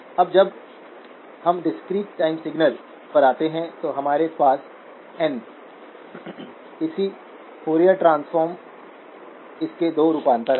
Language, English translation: Hindi, Now when we come to the discrete time signals, we have x of n, the corresponding Fourier transform, two variations of that